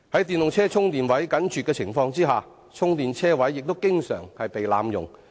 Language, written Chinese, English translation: Cantonese, 電動車充電設施緊絀，充電車位亦經常被濫用。, The shortage of charging facilities aside parking spaces with charging facilities are often misused